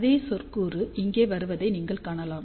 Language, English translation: Tamil, You can see that same term is coming over here